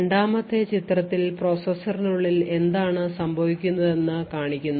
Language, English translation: Malayalam, In the second figure what we show is what happens inside the processor